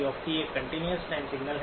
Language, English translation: Hindi, xc of t is a continuous time signal